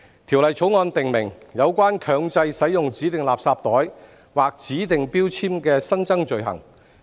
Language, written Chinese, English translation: Cantonese, 《條例草案》訂明有關強制使用指定垃圾袋或指定標籤的新增罪行。, The Bill provides for the newly created offences in relation to the mandatory use of designated garbage bags or designated labels